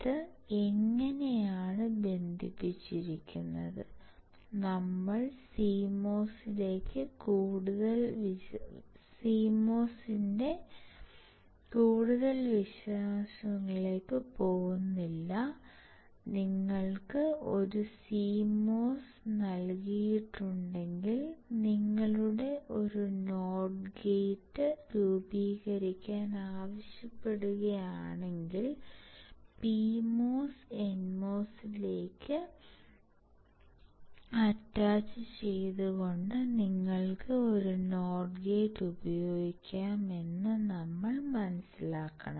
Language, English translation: Malayalam, It is how it is connected and we will not go too much detail into CMOS, we have to just understand that if you are given a CMOS and if you are asked to form a not gate, you can use a not gate by just attaching PMOS to N mos, and the advantage of CMOS is at one time only it will only dissipate the power when it is in the on state